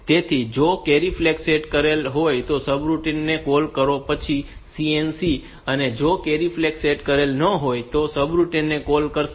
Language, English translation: Gujarati, So, call subroutine if carry flag is set then CNC, it will call the subroutine if carry flag is not set